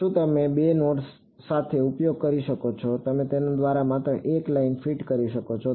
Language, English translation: Gujarati, Can you use with 2 nodes you can only fit a line through it